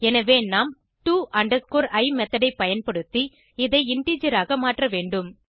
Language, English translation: Tamil, So we need to convert it into integer, using to i method